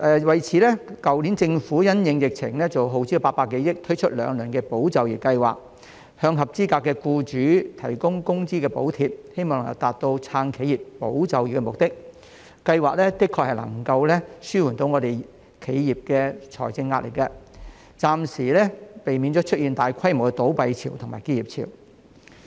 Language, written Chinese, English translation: Cantonese, 為此，去年政府因應疫情耗資800多億元推出兩輪"保就業"計劃，向合資格的僱主提供工資補貼，希望能達到"撐企業、保就業"的目的，計劃的確能夠紓緩企業的財政壓力，暫時避免出現大規模的倒閉潮和結業潮。, In response to the epidemic the Government introduced the 80 billion Employment Support Scheme ESS in two tranches to provide wage subsidies to eligible employers in the hope of supporting enterprises safeguarding jobs . ESS could indeed alleviate the financial pressure on enterprises and temporarily avoid massive wave of business closures